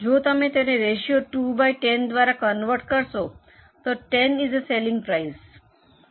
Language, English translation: Gujarati, If you convert it as a ratio 2 by 10, 10 is a selling price